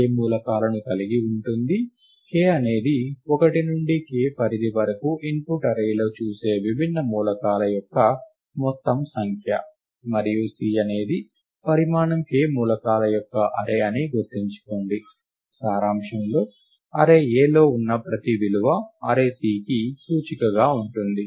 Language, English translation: Telugu, Recall that, k is the total number of distinct elements that one sees in the input array from the range 1 to k and C is an array of size k elements; in essence, every value, which is in the array A can be an index into the array C